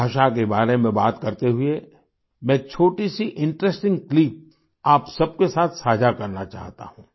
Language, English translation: Hindi, Speaking of language, I want to share a small, interesting clip with you